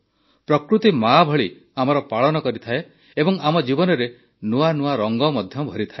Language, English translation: Odia, Nature nurtures us like a Mother and fills our world with vivid colors too